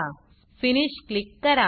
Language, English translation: Marathi, And Click Finish